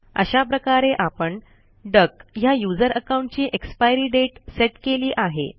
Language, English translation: Marathi, Now you have set an expiry date for the user account duck